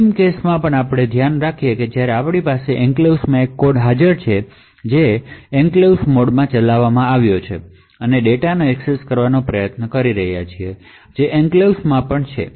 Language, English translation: Gujarati, Will also look at the final case where we have a code present in the enclave that is you are running in the enclave mode and you are trying to access data which is also in the enclave